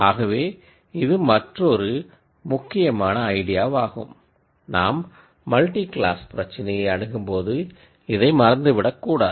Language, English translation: Tamil, So, this is another important idea that, that one should remember when we go to multi class problems